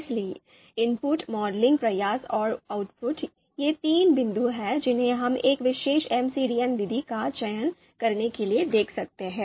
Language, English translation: Hindi, So inputs, the modeling effort and the output; so these are the three three you know points that we can look at for selecting a particular MCDA method